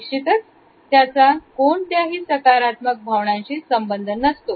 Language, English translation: Marathi, Definitely it is not associated with any positive feelings